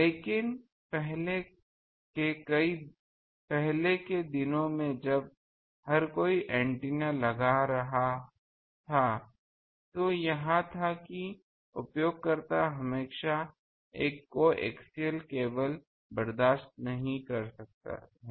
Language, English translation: Hindi, But, in earlier days when everyone was having an antenna, it was that user cannot afford always a coaxial cable